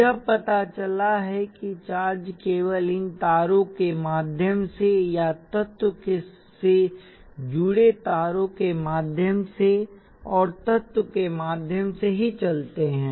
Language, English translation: Hindi, It turns out that the charges move only through these wires or through the wires connected to the element, and through the element itself